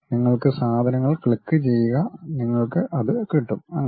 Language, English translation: Malayalam, You click the things you get the things